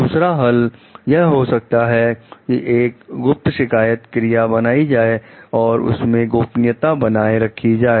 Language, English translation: Hindi, Solution 2 could be secrete complaint procedures, like maintaining anonymity